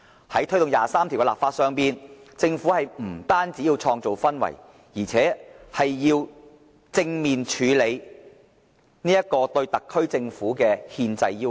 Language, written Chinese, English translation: Cantonese, 在推動第二十三條的立法上，政府不單要創造氛圍，而且要正面處理這個對特區政府的憲制要求。, In taking forward the legislating for Article 23 the Government not only seeks to create a favourable environment but also to handle in a positive manner this constitutional obligation of the SAR Government